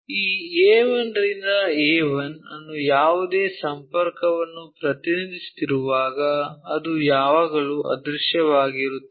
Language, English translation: Kannada, When we are representing this A 1 to A 1 whatever connection, that is always be invisible